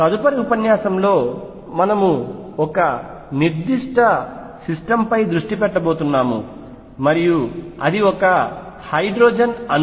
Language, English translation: Telugu, In the next lecture we are going to focus on a particular system and that will be the hydrogen atom